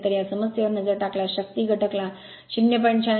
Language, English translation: Marathi, So, if you look into this problem that your power factor is given 0